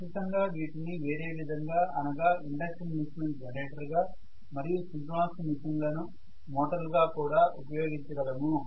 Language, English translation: Telugu, Definitely there are you know other applications as well that is induction machine used as a generator and synchronous machine used as a motor as well but by and large